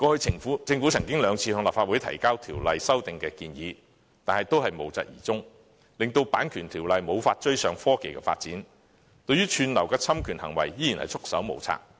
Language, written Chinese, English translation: Cantonese, 政府過去曾兩次向立法會提交條例修訂建議，但最後也無疾而終，令《版權條例》無法追上科技發展，對於串流的侵權行為仍然束手無策。, The Government in two separate instances tabled to the Legislative Council amendment proposals for the Copyright Ordinance but both attempts failed to bring to fruition eventually . Hence the Copyright Ordinance remains lagging behind technological advancement and is defenseless against copyright infringement from streaming materials